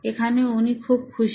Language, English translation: Bengali, Here she is very happy